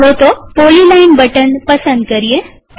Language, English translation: Gujarati, Let us select the polyline